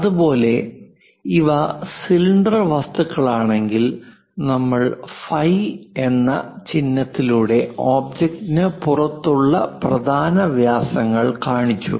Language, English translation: Malayalam, Similarly, if these are cylindrical objects, we went ahead and showed the major diameters outside of the object through the symbol phi